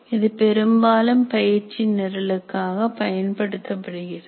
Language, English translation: Tamil, So it is dominantly used for training programs